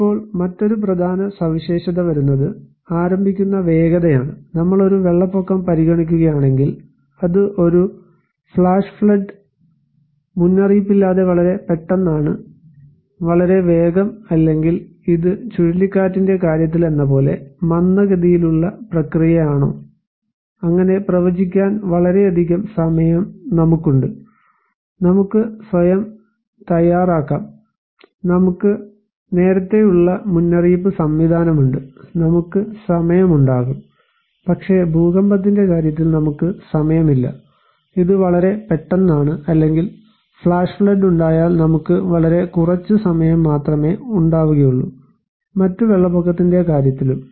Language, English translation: Malayalam, Now, coming another important feature is the speed of onset like, if we consider a flood, it is a flash flood, it is very sudden without warning, very quick or is it a kind of slow process like in case of cyclone, we have much time to predict so, we have; we can prepare our self, we have better early warning system and we can take time but in case of earthquake, we do not have any time, it is very sudden or in case of flash flood, we have less time also consider to other kind of a flood